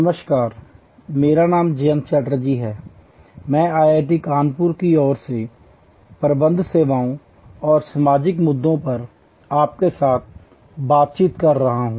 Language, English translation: Hindi, Hello, I am Jayanta Chatterjee from IIT Kanpur and we are discussing services management contemporary issues in today's world